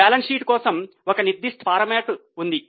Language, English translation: Telugu, There is a specific format for the balance sheet